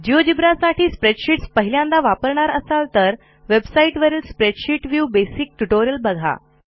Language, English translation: Marathi, If this is the first time you are using spreadsheets for geogebra please see the spoken tutorial web site for the spreadsheet view basic tutorial